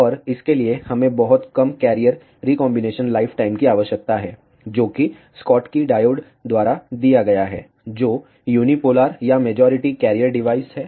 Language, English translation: Hindi, And for that, we need very low carrier recombination lifetime, which is given by the Schottky diodes, which are unipolar or majority carrier devices